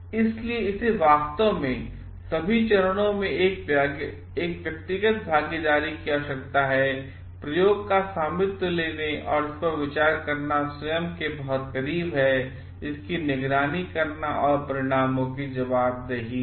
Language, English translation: Hindi, So, it requires actually a personal involvement at all stages, taking ownership of the experiment, thinking at it is very close to oneself and monitoring it and taking accountability of the results